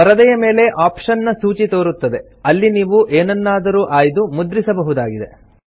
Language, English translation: Kannada, A list of option appears on the screen from where you can select and print in the document